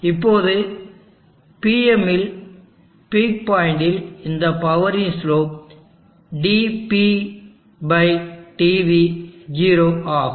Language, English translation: Tamil, Now at T M at the peak power the slope of this power dp/dv is 0